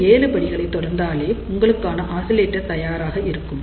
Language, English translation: Tamil, And then follow these seven steps, and you will have oscillator ready for you